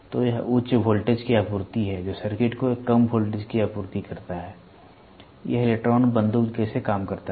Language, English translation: Hindi, So, it is high voltage supply low voltage supply to the circuit, this is how the electron works the electron the gun works, electron gun